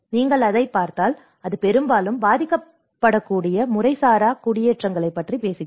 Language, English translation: Tamil, And if you look at it, it talks about the informal settlements which are often tend to be affected